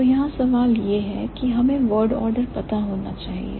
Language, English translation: Hindi, So, the question here is we got to know about the word order